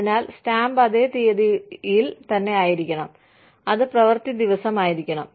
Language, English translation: Malayalam, So, the stamp should be the same, on the same date, which has to be working day